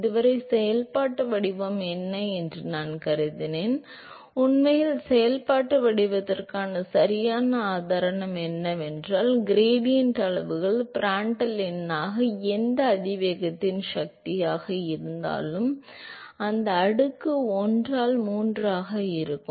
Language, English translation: Tamil, So, far I asked to assume what is the functional form, but actually the correct proof for the functional form is that the gradient scales as Prandtl number to the power of whatever exponent, and that exponent tends out be 1 by 3